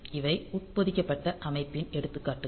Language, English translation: Tamil, So, that these are the examples of embedded system